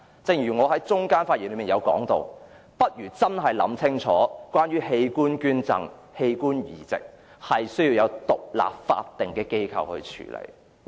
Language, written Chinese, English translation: Cantonese, 正如我在發言中段提及，政府應細心考慮將器官捐贈及器官移植交由獨立的法定機構處理。, As I said midway through my speech the Government should give careful thoughts to the idea of entrusting an independent statutory body with the tasks of organ donation and organ transplant